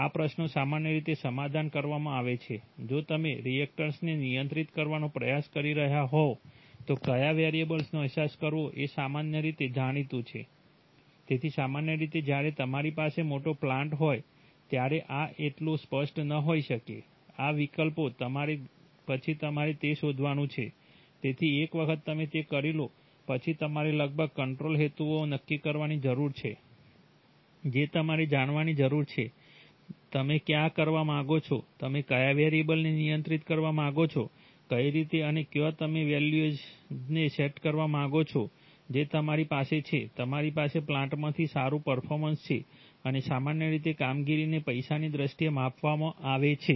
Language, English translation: Gujarati, However it turns out that many of these questions are generally for given class of plants these questions are generally settled that is if you are trying to control a reactor, which of the variables are to be sensed is generally well known right, so, but typically when you have a large plant this may not be so clear, these options, next you have to find out, so once you have done that roughly you need to set the control objectives that is you need to know, where you want to, which are the variables you want to control, in what way and where do you want to set the values such that you have, you have good performance from the plant and generally performance is measured in terms of money, right